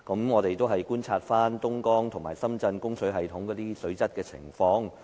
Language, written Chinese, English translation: Cantonese, 我們觀察了東江和深圳供水系統的水質情況。, We looked at the water quality in the water supply systems in Dongjiang and Shenzhen